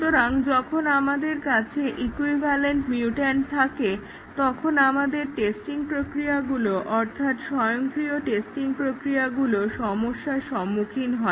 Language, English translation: Bengali, So, when we have equivalent mutant, our testing process, automated testing process will run into problem